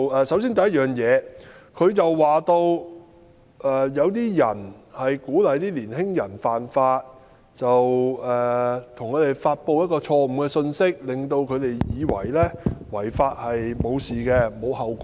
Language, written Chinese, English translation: Cantonese, 首先，她說有人鼓勵年輕人犯法，向他們散播錯誤信息，令他們以為違法沒有問題，無須承擔後果。, First she said that some people encouraged young people to violate the law by sending wrong messages to them making young people believed that they could break the law and did not have to bear any consequences